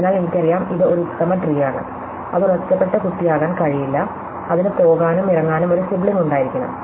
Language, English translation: Malayalam, So, I know because it is an optimal tree, it cannot be a isolated child, it must have a sibling so I go up and come down, I must have a sibling